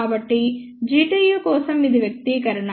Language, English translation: Telugu, So, this was the expression for G tu